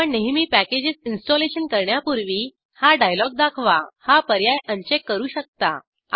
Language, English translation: Marathi, You may uncheck the option Always show this dialog before installing packages